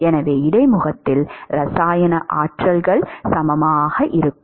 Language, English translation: Tamil, So, the chemical potentials are equal